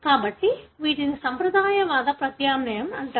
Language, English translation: Telugu, So, these are called as conservative substitution